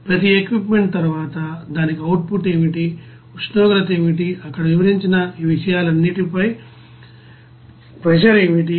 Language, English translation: Telugu, After each equipment you know what would be the output for that, what will be the temperature, what will be the pressure all these things here you know described